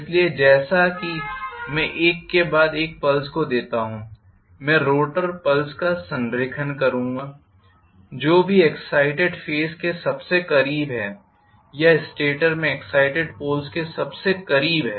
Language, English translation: Hindi, So, as I give the pulses one after another I will see the alignment of rotor poles whichever is the closest to the excited phase or excited poles in the stator